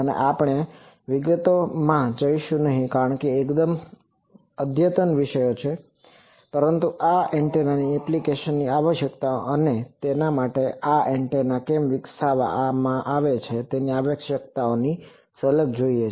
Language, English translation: Gujarati, And we would not go into the details, because these are quite advanced topics, but to have a glimpse of the applications of these antennas, and requirements why these antennas are being developed for that